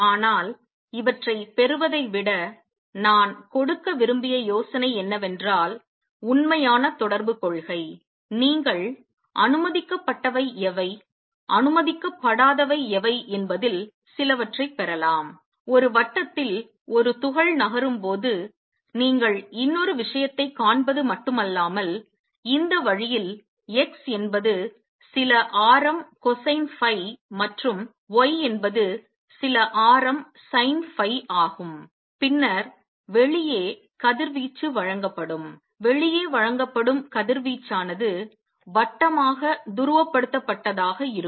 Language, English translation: Tamil, But the idea I wanted to do give rather than just deriving these is that true correspondence principle, you can get some inside into what is allowed; what is not allowed; not only that you see one more thing when a particle is moving in a circle, in this manner that x is some radius cosine phi and y is some radius sin phi, then the radiation will be given out there will be given out will be circular polarized